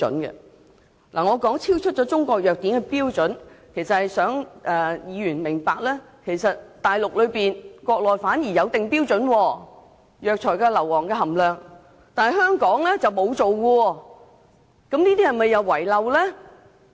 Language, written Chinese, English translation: Cantonese, 我指出樣本超出《中國藥典》的標準，目的是想議員明白，國內反而有為中藥材制訂標準，例如藥材中二氧化硫的含量，但香港卻沒有，這是否遺漏呢？, I pointed out that the samples exceeded the limit in the Chinese Pharmacopoeia in the hope that Members will understand that even the Mainland has drawn up standards for Chinese herbal medicines such as the limit of sulphur dioxide content but there is none in Hong Kong